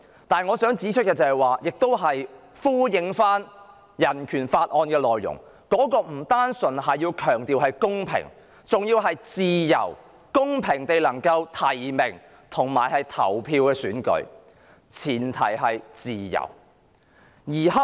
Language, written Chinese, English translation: Cantonese, 但我想指出的是——亦希望呼應《香港人權與民主法案》的內容——選舉不應只講求公平，而公平地提名及投票的前提是"自由"。, I would like to make one point clear and this echoes the Hong Kong Human Rights and Democracy Act ie . fairness should not be the only criteria in an election and the prerequisite for fairness in nomination and voting is freedom